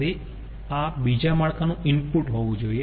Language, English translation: Gujarati, so this should be the input to the another network